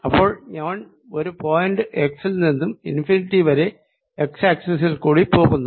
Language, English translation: Malayalam, so i am moving from a point x to infinity along the x axis